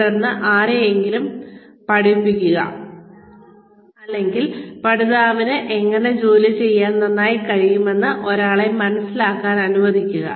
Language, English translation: Malayalam, And then, assign somebody, give the job to, or let one person figure out, how the learner can do the job well